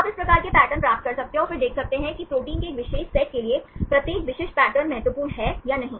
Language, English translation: Hindi, So, you can get this type of patterns and then see whether each specific pattern is important for a particular set of proteins